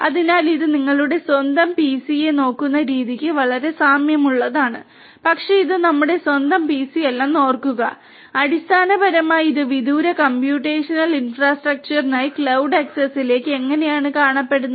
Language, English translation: Malayalam, So, it is you know it looks very similar to the way it looks for your own PC, but remember that this is not our own PC this is basically how it looks to the cloud access that we have for the remote the remote computational infrastructure